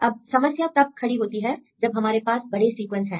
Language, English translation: Hindi, Now the problem is if you have the large sequences